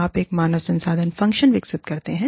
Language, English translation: Hindi, You develop, a human resources function